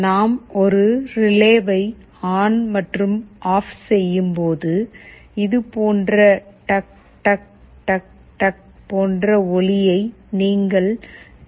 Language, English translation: Tamil, When we switch a relay ON and OFF, you can also hear a sound tuck tuck tuck tuck like this